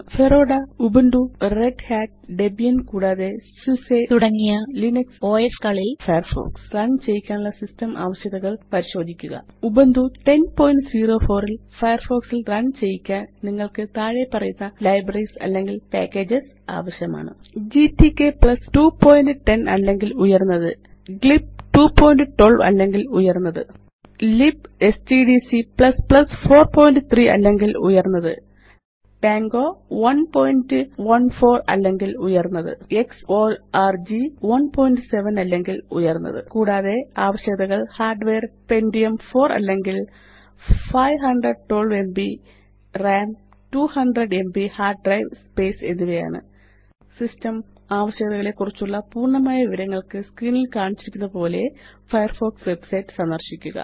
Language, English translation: Malayalam, Here are the System Requirements to run Firefox on Linux OS such as Fedora, Ubuntu,Red Hat,Debian and SUSE you will need the following libraries or packages to run Firefox on Ubuntu 10.04 GTK+ 2.10 or higher GLib 2.12 or higher libstdc++ 4.3 or higher Pango 1.14 or higher X.Org 1.7 or higher And the Recommended hardware are Pentium 4 or above 512MB of RAM and 200MB of hard drive space